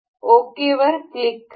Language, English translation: Marathi, We will click on ok